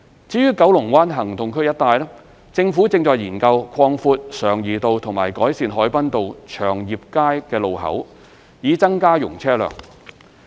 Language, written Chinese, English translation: Cantonese, 至於九龍灣行動區一帶，政府正研究擴闊常怡道和改善海濱道/祥業街路口，以增加容車量。, As for the area around KBAA the Government is studying the widening of Sheung Yee Road and improving the Hoi Bun RoadCheung Yip Street junction to increase the traffic capacity